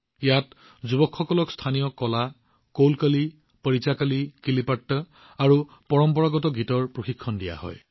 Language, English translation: Assamese, Here the youth are trained in the local art Kolkali, Parichakli, Kilipaat and traditional songs